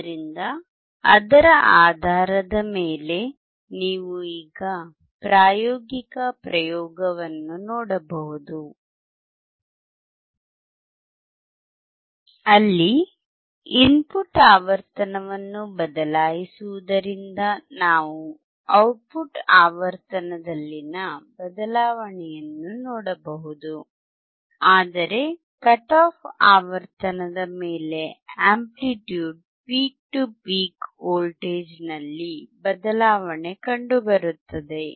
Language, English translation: Kannada, So, based on that you now can see a practical experiment, where changing the input frequency we can see the change in output frequency, but above the cut off frequency there is a change in the amplitude peak to peak voltage